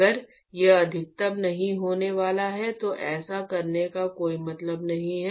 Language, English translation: Hindi, If it is not going to maximize then there is no point in doing that